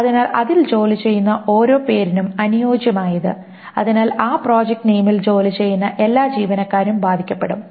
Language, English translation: Malayalam, So corresponding to every name who works in that, so every employee who works in that project name gets affected